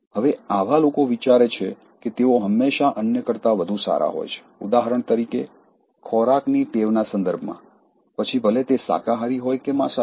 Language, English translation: Gujarati, Now, such people think that, they are always better than others, for example let’s say in terms of food habit, whether it could be vegetarian or non vegetarian thing